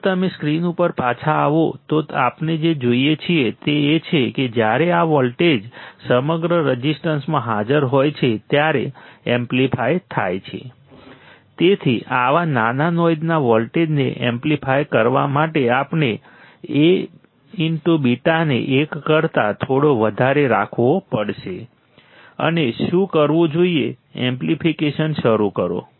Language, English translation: Gujarati, If you come back to the screen what we see is that when this voltage is present across the resistance are amplified, hence to amplify such small noise voltages we have to keep A beta greater than 1 slightly greater than 1 right to start to start what to start the amplification